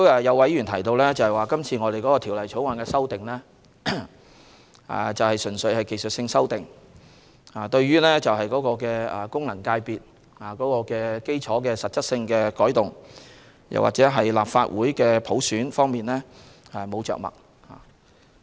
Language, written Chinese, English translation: Cantonese, 有議員提到今次《條例草案》的修訂純屬技術性，對於功能界別基礎的實質改動，或普選立法會方面未有着墨。, Some Members mentioned that the amendments in this Bill are purely technical in nature with no references being made to either any substantial changes in the electorate of FCs or the election of the Legislative Council by universal suffrage